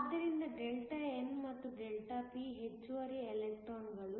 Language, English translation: Kannada, So, Δn and Δp are the excess